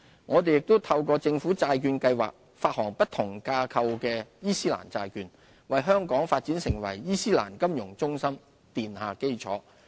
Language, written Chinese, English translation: Cantonese, 我們又透過政府債券計劃發行不同架構的伊斯蘭債券，為香港發展成為伊斯蘭金融中心奠下基礎。, We also issue Islamic bonds sukuk with different structures under GBP thereby laying the foundation for the development of Hong Kong into an Islamic financial centre